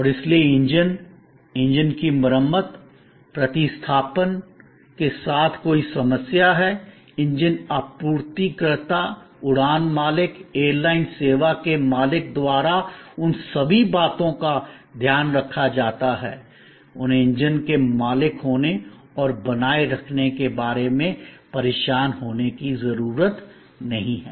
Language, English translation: Hindi, And therefore, there is any problem with the engine, the engine repair, replacement, all those things are taken care of by the engine supplier, the flight owner, the airline service owner, they do not have to bother about owning the engines and maintaining the engines and so on